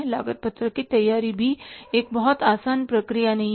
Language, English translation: Hindi, The preparation of the cost sheet is also not a very easy process